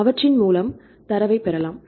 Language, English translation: Tamil, So, then we can get the data